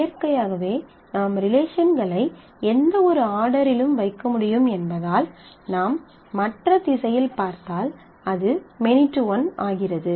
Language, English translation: Tamil, Now naturally since I can put the relations in any order as we have one to many if you look in the other direction it becomes many to one